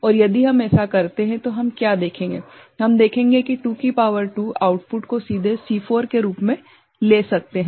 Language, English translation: Hindi, And if we do then what we shall see ,we shall see that 2 to the power 2 that output can be directly taken as C4